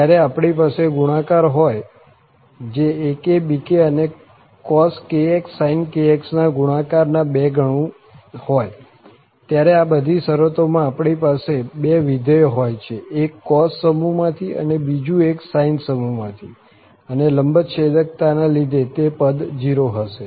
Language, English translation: Gujarati, When we have the product, so 2 times the product of ak, bk then cos kx sin kx, in all these terms, we have the two functions, one from the cos family other one from the sine family, and this orthogonality says that those term will be 0